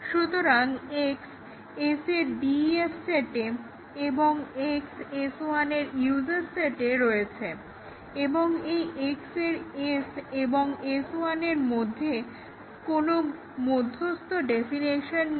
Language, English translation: Bengali, So, X is in the DEF set of S, X is in the USES set of S1 and there is no intervening definition of S, sorry of X between S and S1